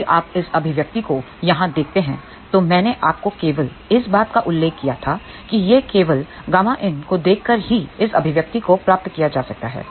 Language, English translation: Hindi, If you look at this expression here, I had just mentioned to you that this can be derived just by looking at the gamma in expression